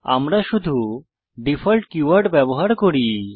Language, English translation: Bengali, That is done by using the default keyword